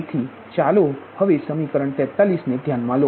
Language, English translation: Gujarati, say this is equation forty three